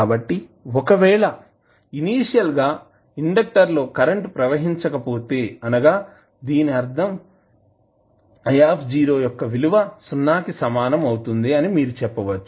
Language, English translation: Telugu, So, if you say that initially the there is no current flowing through the inductor that means I naught equals to 0